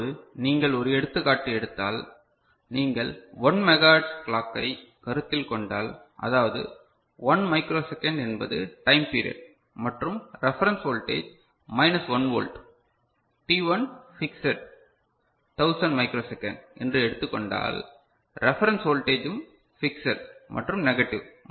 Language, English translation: Tamil, So, if you consider a 1 megahertz clock; that means, 1 microsecond is the time period and the reference voltage is say minus 1 volt, t1 is fixed say 1000 microsecond, reference voltage is also fixed and it is negative